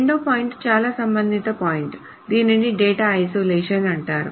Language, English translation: Telugu, The second point is, it is a very related point, it is called data isolation